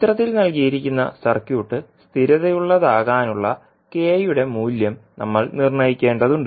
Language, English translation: Malayalam, We need to determine the value of k for which the circuit which is given in figure is stable